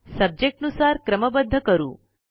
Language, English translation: Marathi, Now, lets sort by Subject